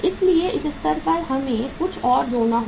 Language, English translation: Hindi, So into this you have to add something